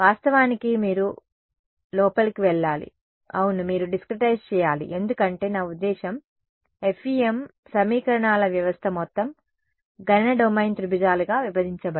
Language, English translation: Telugu, Of course you have to go yeah inside yeah you have to discretize because I mean how do you, FEM system of equations the entire computational domain is broken up into triangles